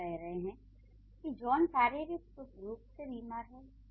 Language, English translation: Hindi, You are saying the physical state of John is ill